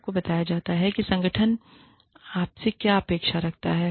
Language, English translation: Hindi, You are told, what the organization expects of you